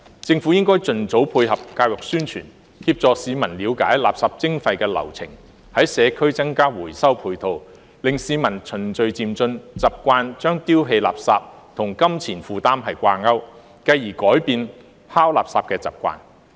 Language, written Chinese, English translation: Cantonese, 政府應盡早配合教育宣傳，協助市民了解垃圾徵費的流程，在社區增加回收配套，令市民循序漸進，習慣將丟棄垃圾與金錢負擔掛鈎，繼而改變拋垃圾的習慣。, The Government should carry out complementary education and publicity as early as possible to help the public understand the workflow of waste charging and provide additional recycling facilities in the community so that the public will gradually get used to associating waste disposal with pecuniary costs and thus change their habit of discarding waste